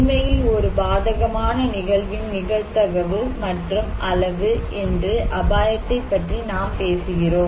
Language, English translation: Tamil, Now, we are talking about that risk is actually the probability and the magnitude of an adverse event